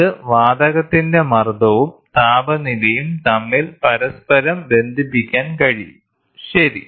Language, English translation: Malayalam, This in turn can correlate the pressure and temperature of the gas, ok